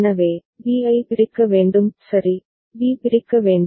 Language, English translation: Tamil, So, b need to be split ok, b need to be split